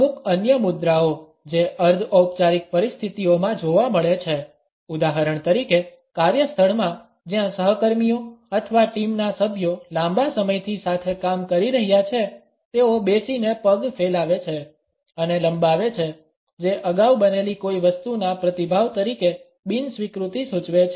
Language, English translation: Gujarati, Certain other postures which are seen in the semi formal situations; for example in the workplace where the colleagues or team members have been working for a very long time together; they spread and stretched out legs while sitting suggest the non acceptance as a response to something which is happened earlier